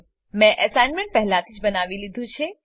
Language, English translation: Gujarati, I have already constructed the assignment